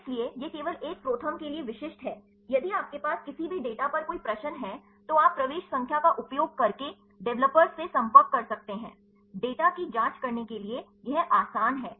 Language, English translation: Hindi, So, this is only specific to a ProTherm that, if you have any queries on any data, then you can contact the developers using the entry number; it is easy to check the data